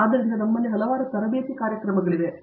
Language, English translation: Kannada, So, we have a number of these training programs